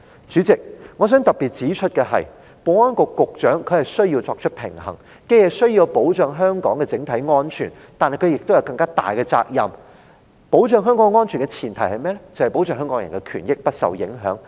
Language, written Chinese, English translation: Cantonese, 主席，我想特別指出，保安局局長需要作出平衡：他既需要保障香港的整體安全，但亦有更大的責任保障香港人的權益不受影響，因為這是保障香港安全的前提。, Chairman I wish to highlight that S for S has to strike a balance between the need to safeguard the overall security of Hong Kong and the greater responsibility to protect the rights and interests of Hong Kong people because this is a prerequisite for safeguarding the security of Hong Kong